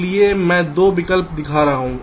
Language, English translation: Hindi, so i am showing two alternatives